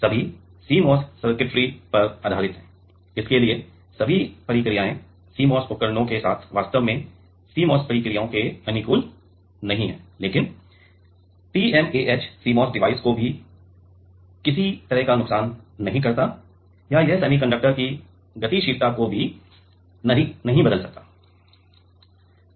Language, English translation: Hindi, All are based on CMOS circuitry then, for that all the processes are not actually compatible of CMOS processes with the CMOS devices, but TMAH does not do any kind of harm to the CMOS device or it cannot it does not change the mobility of the semiconductor